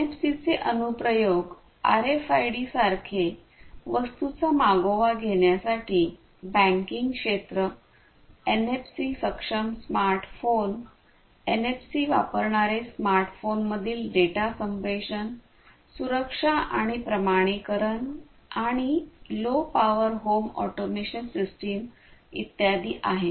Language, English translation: Marathi, Applications of NFCs very similar to RFIDs tracking of goods, banking sector, you know NFC enabled smartphones, and data communication between smartphones using NFC, security and authentication, low power home automation systems and so on